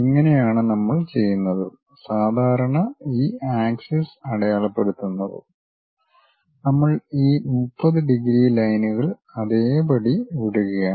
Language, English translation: Malayalam, This is the way we keep and typically just to mention this axis labels, we are just leaving this 30 degrees lines as it is